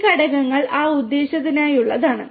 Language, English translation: Malayalam, And these components are for that purpose